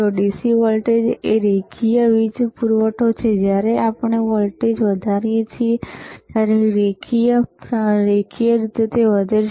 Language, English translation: Gujarati, DC iIt is a DC voltage linear power supply, linearly increases when we increase the voltage